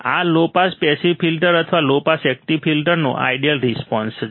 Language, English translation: Gujarati, This is an ideal response of the low pass passive filter or low pass active filter